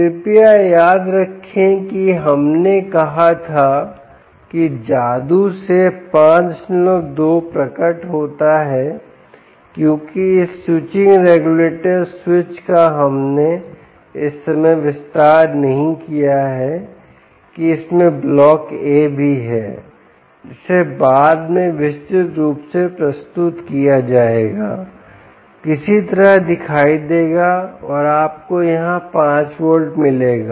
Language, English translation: Hindi, we said five point two appears by magic because this switching regulator switch we havent expanded at the moment, also written has block a here will be elaborated later, of course somehow appears and you are getting five volts here